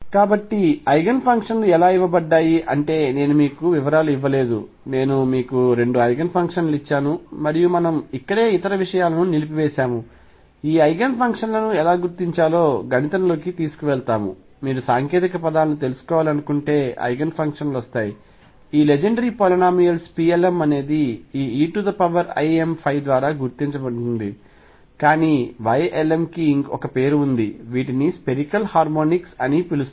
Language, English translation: Telugu, So, this is how the Eigenfunctions are given I have not given you details, I have just given you 2 Eigen functions right and that us, what it is this is where we stopped other things take us into mathematics of how to determine these Eigen functions, if you want to know the technical terms the Eigenfunctions comes out come out to be the associated Legendre polynomials P l ms multiplied by this these e raise to i m phi, but the Y l ms is have a name these are known as a spherical harmonics